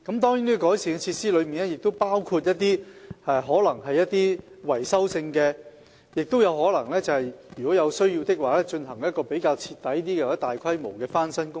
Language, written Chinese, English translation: Cantonese, 在改善設施方面，亦包括一些維修工作；如有需要，我們亦可能進行比較徹底或大規模的翻新工程。, The improvement of facilities includes some maintenance work; and if necessary we may also carry out thorough or large - scale refurbishment works